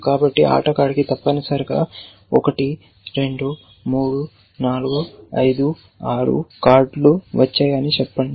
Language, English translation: Telugu, So, let us say this player has got 1, 2, 3, 4, 5, 6 cards of clubs essentially